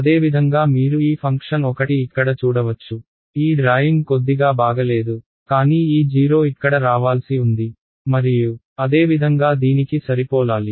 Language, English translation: Telugu, Similarly you can see this function is one over here my drawing is little bad, but this 0 supposed to come over here and similarly for this should match